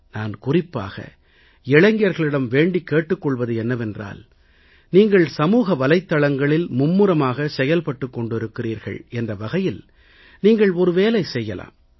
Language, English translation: Tamil, I want to urge the youth especially that since you are very active on social media, you can do one thing